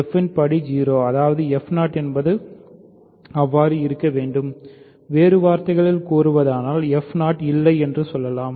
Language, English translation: Tamil, So, degree of f is 0; that means, f 0 must be one right because f 0 is a; so, in other words there is no f 0